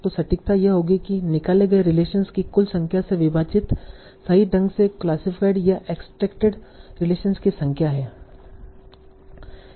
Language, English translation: Hindi, So precision would be what are the number of correctly classified or extracted relations divide by total number of extracted relations